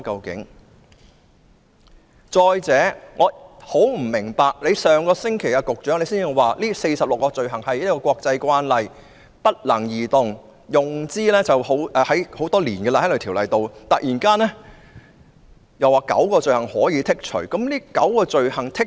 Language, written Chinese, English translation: Cantonese, 局長上星期表示這46項罪類根據國際慣例不能剔除，而且《逃犯條例》多年來行之有效，但他卻突然表示可以剔除9項罪類。, The Secretary said last week that these 46 items of offences could not be excluded according to international practice . The Fugitive Offenders Ordinance has been proved effective throughout the years but the Secretary suddenly said that nine items could be excluded